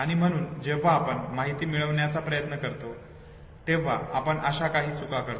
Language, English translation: Marathi, And therefore when we try to retrieve the information we commit certain error